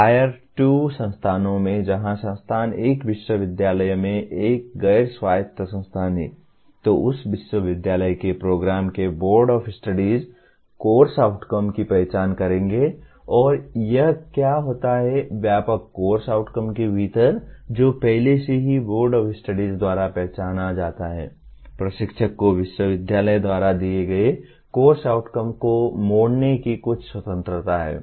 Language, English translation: Hindi, In tier 2 institutions where institution is a non autonomous institution in a university, then the board of studies of the program of that university will identify the course outcomes and here what happens is within the broad course outcomes that are already identified by boards of studies, the instructor has some freedom to tweak the course outcomes given by the university